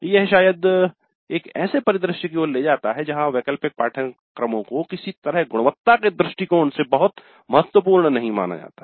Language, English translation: Hindi, Now this leads to probably a scenario where the elective courses are somehow looked at as not that very important from the quality perspective